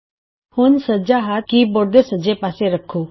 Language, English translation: Punjabi, Now, place your right hand, on the right side of the keyboard